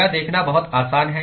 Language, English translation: Hindi, It is very simple to see this